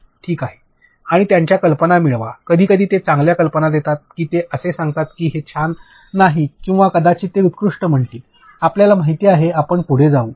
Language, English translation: Marathi, And get their ideas, sometimes they give good ideas that they will tell you why it is not cool or maybe they just say excellent, you know we will proceed